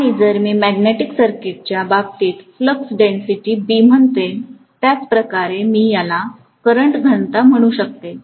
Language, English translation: Marathi, And if I say flux density B in the case of magnetic circuit, the same way I can call this as current density